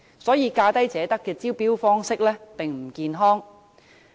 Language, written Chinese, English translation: Cantonese, 所以，"價低者得"的招標方式並不健康。, Therefore the approach of lowest bid wins is unhealthy